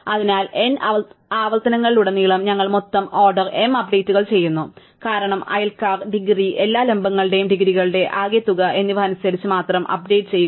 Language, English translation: Malayalam, So, across the n iterations, we do a total of order m updates because we update only according to the neighbours, the degree, the sum of the degrees of all the vertices